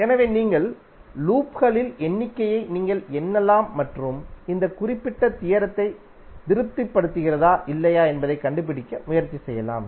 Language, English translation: Tamil, So you can count number of loops which you have created and try to find out whether number of loops are satisfying this particular theorem or not